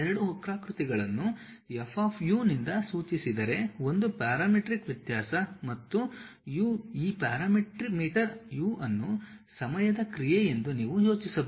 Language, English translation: Kannada, If two curves are denoted by F of u, a parametric variation and G of u; you can think of this parameter u as a function of time also